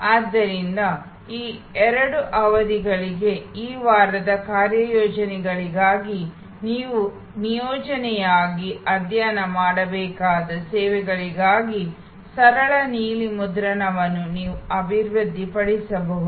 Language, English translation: Kannada, So, that you can develop simple blue prints for the services that you will have to study as an assignment for these two sessions, for the assignments of this week